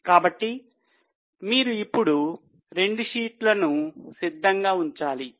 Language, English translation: Telugu, So, you have to keep both the sheets ready now